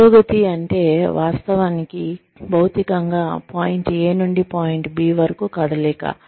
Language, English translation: Telugu, Advancement is, actually, physically, making a move from, point A to point B